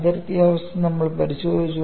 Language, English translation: Malayalam, We have to look at the boundary conditions